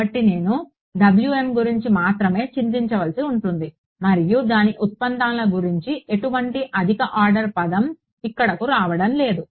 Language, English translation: Telugu, So, I have to only worry about W m and its derivatives no higher order term is coming over here